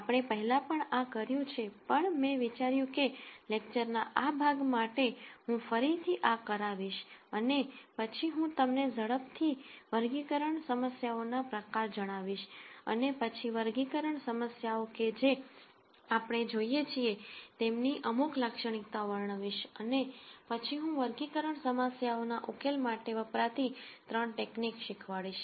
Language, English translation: Gujarati, We have done this before, but I thought I will come back to this for this part of the lectures and then I will tell you the type of classification problems quickly and then describe some characteristic that we look for in these classification problems and then I will teach three techniques which could be used in solving classification problems